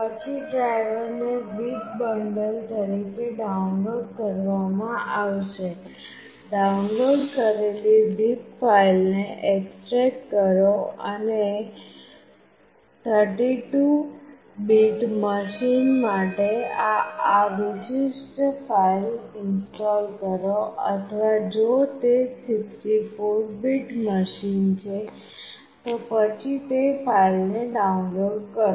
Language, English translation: Gujarati, Then the driver will be downloaded as a zip bundle, extract the downloaded zip file and install this particular file for 32 bit machine, or if it is 64 bit machine then download this one